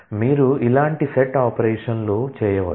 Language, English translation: Telugu, You can do set operations like this